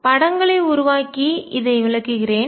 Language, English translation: Tamil, Let me explain this by making pictures